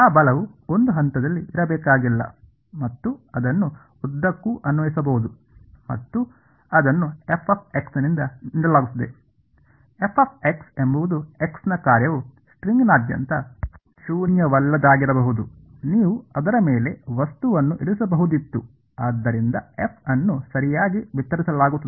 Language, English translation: Kannada, That force need not be at a point it can be applied throughout and that is given by f of x; f of x is the is a function of x can be non zero throughout the string you could be have placed an object on it, so f is distributed right